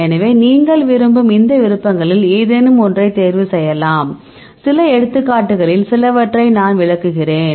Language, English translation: Tamil, So, you can choose any of these options do you want right, I will explain some of the some of the some examples